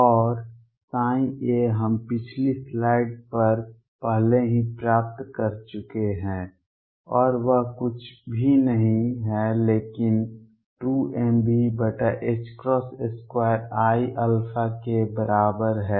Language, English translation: Hindi, And psi at a we have already derived on the previous slide and that is nothing but is equal to 2 m V over h cross square i alpha